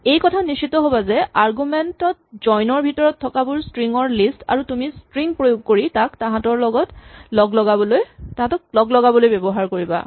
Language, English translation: Assamese, All you need to make sure is what you have inside the join in the argument is a list of strings and what you applied to is the string which will be used to join them